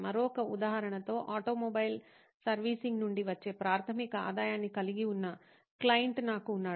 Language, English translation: Telugu, In another example, I had a client who had primary revenue coming from automobile servicing